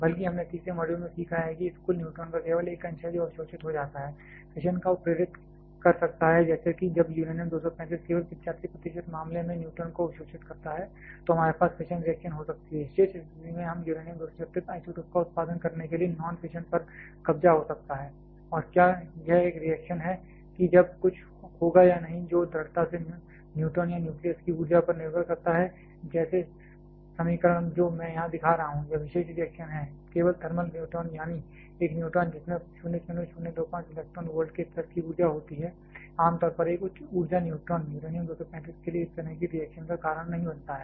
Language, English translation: Hindi, Rather we have learned in the third module that, there is only a fraction of this total neutron that gets absorbed can induce fission like when an uranium 235 absorbs a neutron only in 85 percent case, we can have the fission reaction, in remaining situation we may have the non fission capture to produce uranium 236 isotopes and whether this a reaction that all will happen or not that strongly depends upon the energy of the neutron or also the nucleus itself, like the equation that I am showing here this particular reaction that is valid only thermal neutron, that is a neutron which are having energy of the level of 0